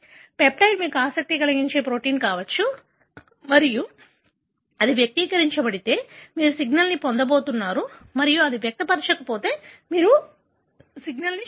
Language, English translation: Telugu, The peptide could be your protein of interest and if it is expressed, you are going to get a signal and if it not expressed, you are not going to see signal